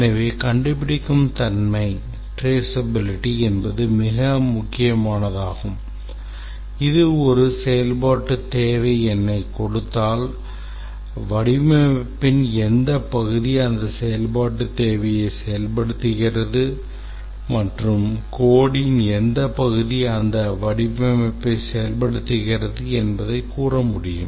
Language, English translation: Tamil, So, this is called as traceability, very important concept that given a function requirement number should be able to tell which part of the design implements that and which part of the code implements that design